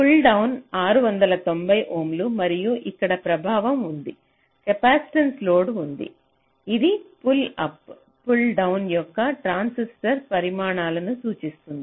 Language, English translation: Telugu, so pull down is six, ninety ohm, and here there is a effect, here there is a capacitive load which indicates the sizes of the pull up and pull down transistors